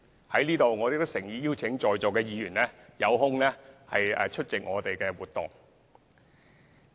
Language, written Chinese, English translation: Cantonese, 我在此亦誠意邀請在座議員抽空出席我們的活動。, I sincerely invite Members to spare some time to participate in our activities